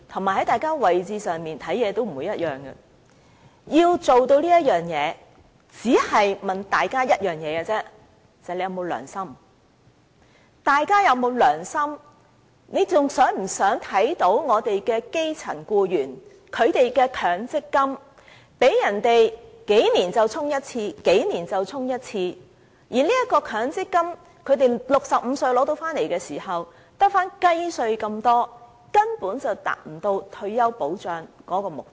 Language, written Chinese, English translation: Cantonese, 如果真正想做到這一點，我只問大家一句，就是大家有否良心，還想不想看到基層僱員的強積金每數年被對沖一次、每數年被對沖一次，然後，到他們65歲取回強積金時，所餘無幾，根本無法達到退休保障的目的。, In order to forge a consensus I want to ask Members if they still have conscience . Do they still want to see the MPF of grass - root workers being offset once every several years and time and again they may have very little left when then try to live on the MPF at the age of 65? . Fundamentally that will not help us to achieve the objective of retirement protection